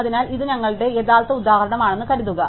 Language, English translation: Malayalam, So, supposing this was our original example